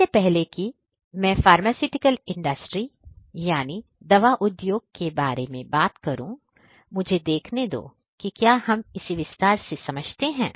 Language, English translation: Hindi, So, before I talk about IoT in pharmaceutical industry, let me see whether we understand this in detail enough